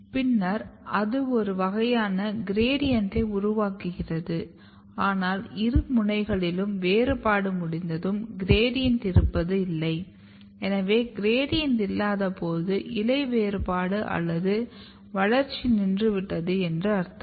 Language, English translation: Tamil, And then it generates a kind of gradient, but once this gradient is totally so when both the ends are completed then you have no gradient, when there is no gradient essentially you can say that here the differentiation or growth of the leaf stops